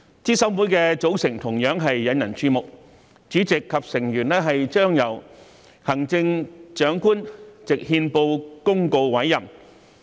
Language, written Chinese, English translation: Cantonese, 資審會的組成同樣引人注目，主席及成員將由行政長官藉憲報公告委任。, The composition of CERC has also attracted much attention . The chairperson and members of CERC are to be appointed by the Chief Executive by notice published in the Gazette